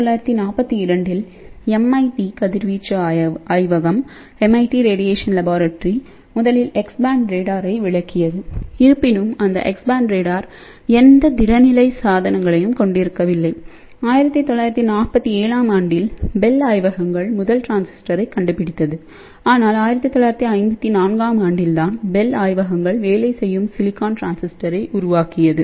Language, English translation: Tamil, So, it was in 1942, MIT radiation laboratory first demonstrated X band radar, but; however, that X band radar did not contain any solid state devices, it was in 1947 when bell labs actually invented the first transistor and it was in 1954 when bell labs actually develop the working silicon transistor